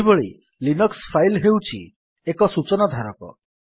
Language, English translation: Odia, Similarly a Linux file is a container for storing information